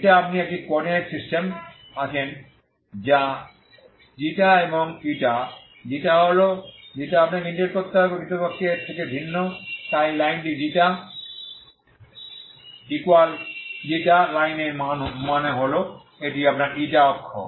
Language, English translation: Bengali, ξ is you are in this coordinate system ξ and η, ξ is ξ you have to integrate ξ is actually varying from so this is the line this is the line this is the ξ line ξ equal to ξ line that means this is your η axis